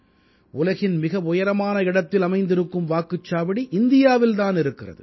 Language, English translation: Tamil, The world's highest located polling station too, is in India